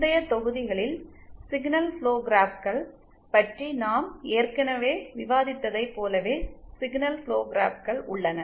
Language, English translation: Tamil, The signal flow graphs are as we have already discussed about signal flow graphs in the previous modules